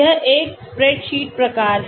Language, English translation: Hindi, It is a spreadsheet type